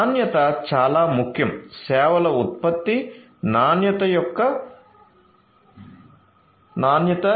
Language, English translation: Telugu, So, quality is very important quality of the product quality of the services